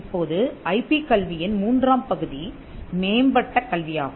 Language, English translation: Tamil, Now, the third part of IP education is the advanced IP education